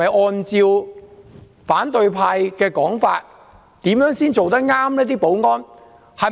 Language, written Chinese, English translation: Cantonese, 按反對派的說法，保安人員怎樣做才算妥當呢？, According to Members of the opposition camp how can our security staff be proper?